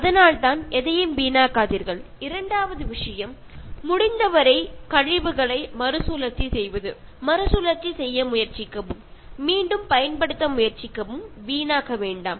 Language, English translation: Tamil, So that is why, do not waste anything and the second important thing is recycle waste as much as possible, try to recycle, try to reuse, do not waste